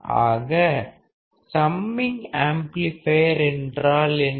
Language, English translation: Tamil, So, what is the summing amplifier